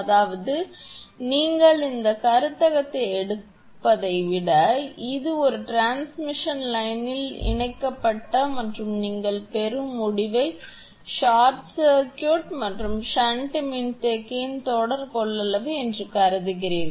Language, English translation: Tamil, That means, when you rather than taking this conception you consider that it is a series of capacitance in a transmission line connected and short circuited at the your receiving end and the shunt capacitance are also there